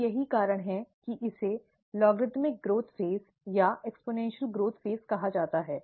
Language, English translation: Hindi, And that is the reason why it is called logarithmic growth phase or the exponential growth phase